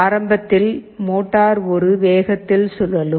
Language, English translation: Tamil, So, see the motor is rotating at a very high speed, high speed